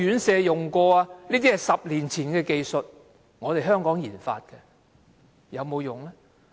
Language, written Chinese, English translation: Cantonese, 這是10年前的技術，是香港研發的，但有沒有用？, It is a technology developed in Hong Kong 10 years ago but has it been used?